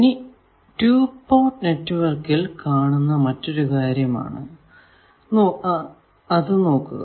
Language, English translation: Malayalam, Now, we come to another thing that let us see in a 2 port network